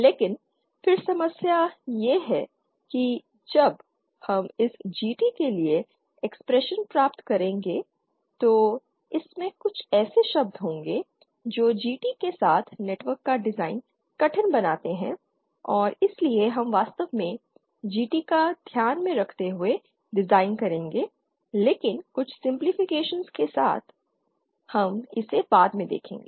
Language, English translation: Hindi, But then the problem as we shall see when we derive the expression for this GT it contains some terms which make the design of a network with pure GT difficult and therefore we will actually design with GT in mind but with some simplifications we shall see this later